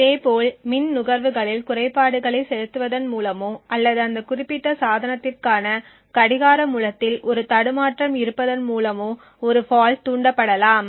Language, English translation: Tamil, Similarly a fault can also be induced by injecting glitches in the power consumption or by having a glitch in the clock source for that specific device